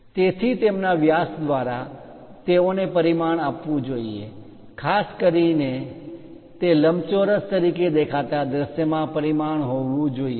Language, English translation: Gujarati, So, they should be dimension by their diameters, especially should be dimensioned in the views that they appear as rectangles